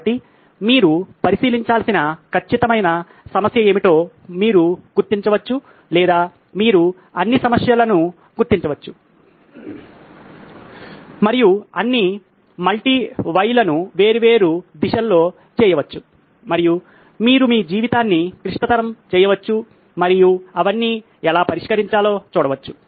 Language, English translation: Telugu, So, that you figure out what is the exact problem that needs to be solved or you can figure out all problems and do all multi why in different directions and you can make your life complicated and see how to solve them all